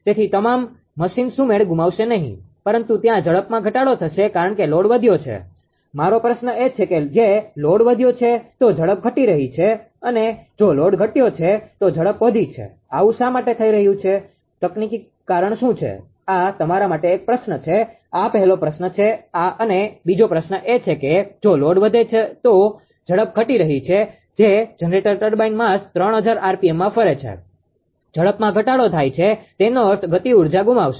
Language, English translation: Gujarati, So, all the machine will not lose synchronism, but that ah there will there will be decrease in the speed because load has increased my question is if load increases speed decreases if load decreases speed increases why it is happening; what is the technical reason this is a question to you, this is a first question second question is that if load increases the speed is falling that is generator turbine mass rotating in a 3000 rpm speed decreases mean that will loss of kinetic energy right